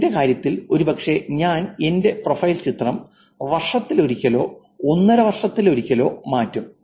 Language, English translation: Malayalam, In my case probably I changed my profile picture once a year or once in a year and a half or so